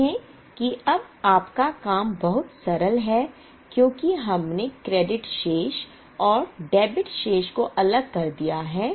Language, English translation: Hindi, See now your work is very simple because we have separated credit balances and debit balances